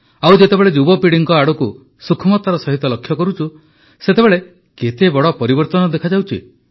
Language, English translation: Odia, And when we cast a keen glance at the young generation, we notice a sweeping change there